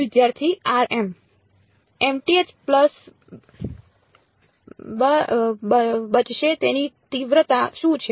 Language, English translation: Gujarati, The mth pulse will survive what is the magnitude